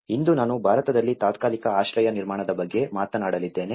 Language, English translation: Kannada, Today, I am going to talk about temporary shelter construction in India